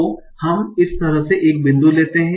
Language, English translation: Hindi, So let's take a point like this